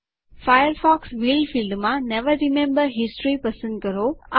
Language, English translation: Gujarati, In the Firefox will field, choose Never remember history